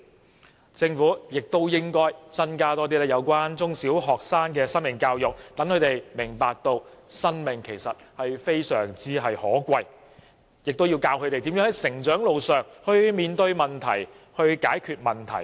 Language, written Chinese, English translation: Cantonese, 此外，政府應增加中小學生的生命教育，讓他們明白生命的可貴，亦要教導他們如何在成長路上面對問題、解決問題。, Moreover the Government should enhance life education for primary and secondary school students so that they understand how precious life is . Students should also learn how to handle and resolve different problems they meet as they grow up